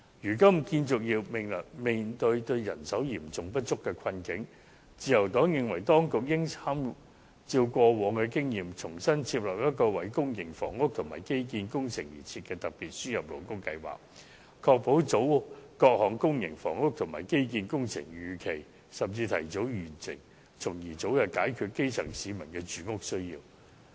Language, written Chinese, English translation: Cantonese, 如今建造業面對人手嚴重不足的困境，自由黨認為當局應參照以往的經驗，重新訂定一項為公營房屋及基建工程而設的特別輸入勞工計劃，確保各項公營房屋和基建工程能夠如期甚至提早完成，從而早日解決基層市民的住屋需要。, Given that the construction industry is now facing a serious shortage of labour the Liberal Party believes that the Administration should draw on past experience to reformulate a special labour importation scheme for public housing and infrastructure projects to ensure that these projects will be completed on time or even ahead of time so as to meet the housing needs of the grass roots as soon as possible